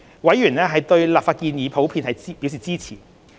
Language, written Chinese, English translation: Cantonese, 委員對立法建議普遍表示支持。, Panel members expressed general support for the legislative proposals